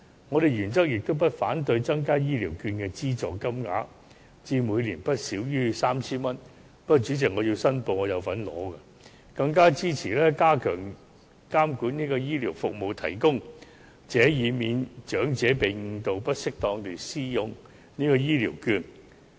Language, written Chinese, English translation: Cantonese, 我們原則上不反對增加醫療券的資助金額至每年不少於 3,000 元——主席，我申報我亦有領取醫療券——更支持加強監管醫療服務提供者，以免長者被誤導不適當地使用醫療券。, In principle we have no objection to increasing the subsidy amount of the Health Care Voucher HCV to at least 3,000 a year―President I declare that I am also an HCV recipient―and I even support the idea of enhancing the regulation of health care service providers so as to prevent elderly people from being misled into using HCV improperly